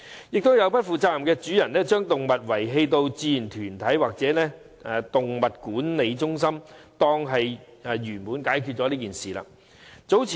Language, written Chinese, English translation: Cantonese, 亦有不負責任的主人，把動物遺棄到志願團體或動物管理中心，便以為事情已圓滿解決。, Some irresponsible owners think that after leaving their animals at voluntary groups or the Animal Management Centres the problem will be completely solved